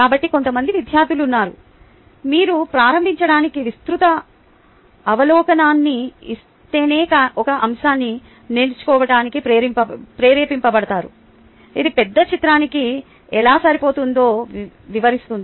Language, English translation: Telugu, so there are some students who can get motivated into learning a topic only if you give a broader overview to start with, which explains how does the topic fit into the big picture